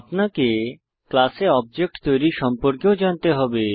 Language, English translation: Bengali, You must also know how to create an object for the class